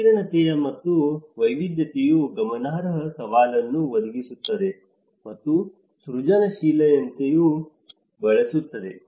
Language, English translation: Kannada, The rich complexity and diversity presents a significant challenge as well as foster creativity